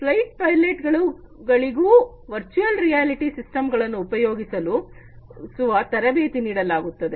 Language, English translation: Kannada, Fight pilots are also often trained in the using, you know, virtual reality systems